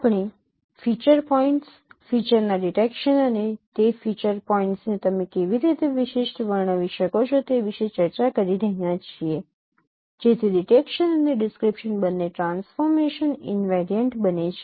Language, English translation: Gujarati, We are discussing about detection of features, feature points and also how do you describe those feature points uniquely so that both detection and description becomes transformation invariant